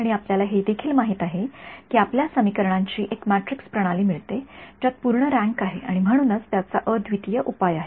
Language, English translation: Marathi, And, we also know that you get a matrix system of equations which has full rank and therefore, it has a unique solution ok